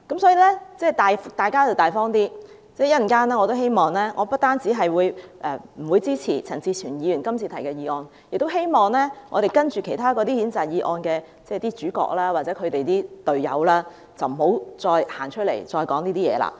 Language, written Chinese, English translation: Cantonese, 所以，大家要大方一點，我稍後不但不會支持陳志全議員今次提出的議案，亦希望稍後其他的譴責議案的主角或他們的隊友，不要再走出來說這些話。, Therefore we should not be petty - minded . I will not support the motion moved by Mr CHAN Chi - chuen . Besides I hope that the leading characters of other following censure motions or their teammates will not stand up and say such things again